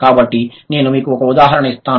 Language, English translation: Telugu, So, I will give you an example